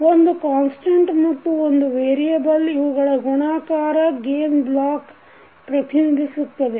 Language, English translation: Kannada, The multiplication of a single variable by a constant is represented by the gain block